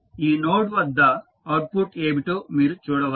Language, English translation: Telugu, You can see what is the output at this note